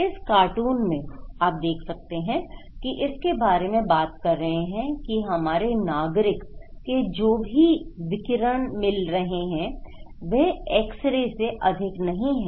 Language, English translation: Hindi, In this cartoon, you can look that talking about the radiation issues that whatever radiations our citizen are getting is no more than an x ray